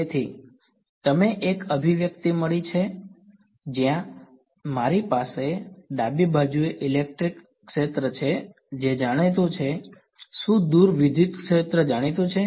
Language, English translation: Gujarati, So, we have got an expression where I have the electric field on the left hand side is it known; so far is the electric field known